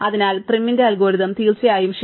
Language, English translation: Malayalam, So, therefore, prim's algorithm is definitely correct